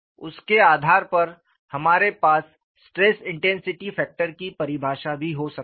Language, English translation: Hindi, We have looked at the definition of a stress intensity factor